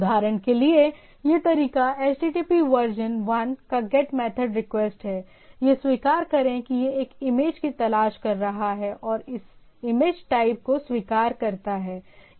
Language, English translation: Hindi, So, if we come to the example, so this is the request to get method HTTP version 1 accept it is looking for a image and accept this image type of things